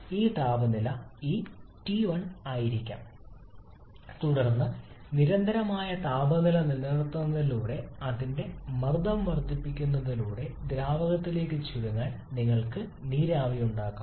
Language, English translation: Malayalam, This temperature maybe this T1 then maintaining that constant temperature simply by increasing its pressure you can make water vapour to condense to liquid